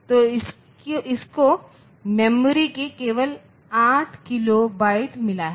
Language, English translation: Hindi, So, it will have only 8 kilo byte of memory